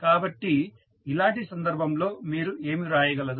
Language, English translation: Telugu, So, in that case what you can write